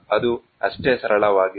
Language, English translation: Kannada, That is as simple as